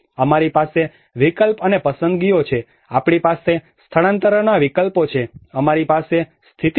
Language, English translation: Gujarati, We have the option and choices; we have the relocation options, we have the in situ